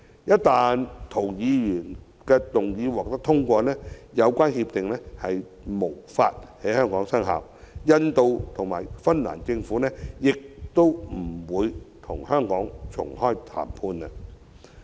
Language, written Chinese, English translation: Cantonese, 一旦涂議員的擬議決議案獲得通過，相關協定將無法在香港實施，印度和芬蘭政府亦不會與香港重啟談判。, If the proposed resolutions of Mr James TO were passed the relevant agreements would have no way of being implemented in Hong Kong . And the Governments of India and Finland would not reopen negotiations with Hong Kong